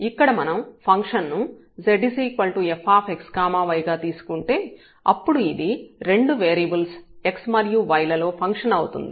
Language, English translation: Telugu, So, if we consider here function z is equal to f x y a function of 2 variables x and y and we let that this x depends on t